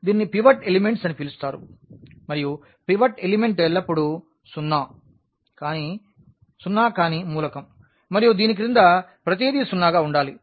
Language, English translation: Telugu, This is called the pivot element and pivot element is always non zero element and below this everything should be zero